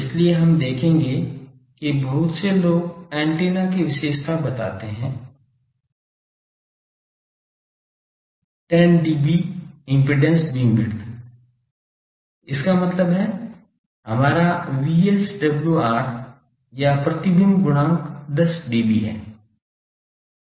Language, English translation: Hindi, That is why we will see that many antennas people characterize ok; the 10dB impedance bandwidth; that means, our VSWR is or reflection coefficient 10dB